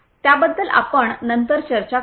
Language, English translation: Marathi, We will talk about that later on